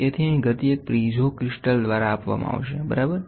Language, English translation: Gujarati, So, here the movement will be given by a piezo crystal, ok